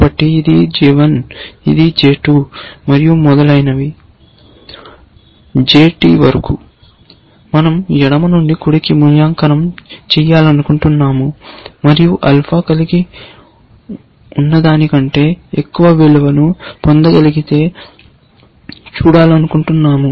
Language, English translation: Telugu, So, this is j 1; this is j 2 and so on, up to j t; we want to evaluate from left to right, and we want to see, if we can get a higher value than what alpha has